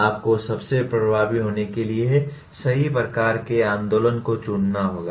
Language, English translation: Hindi, You have to choose the right kind of movement for it to be most effective